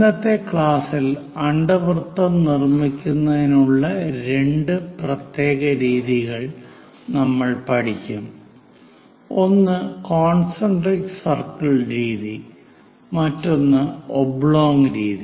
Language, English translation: Malayalam, In today's class, we will learn two special methods to construct ellipse, one is concentric circle method, and other one is oblong method